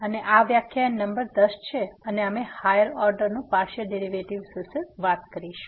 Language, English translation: Gujarati, And this is lecture number 10 we will be talking about Partial Derivatives of Higher Order